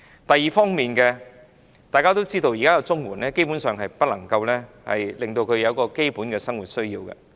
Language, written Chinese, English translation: Cantonese, 第二方面，大家都知道現時的綜援基本上不能應付基本的生活需要。, Meanwhile we all know that the existing CSSA payment is basically unable to meet the basic needs in daily living